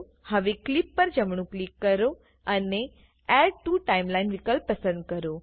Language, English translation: Gujarati, Now, right click on the clips and choose ADD TO TIMELINE option